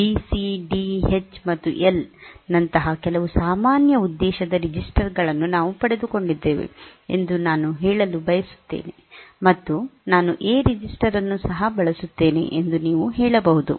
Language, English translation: Kannada, Like I want to say we have got some general purpose registers like B C D H L, and you can also say that I will also use the A register